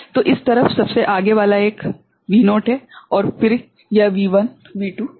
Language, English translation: Hindi, So, this side, the farther one is V naught then this is V1 V2 V3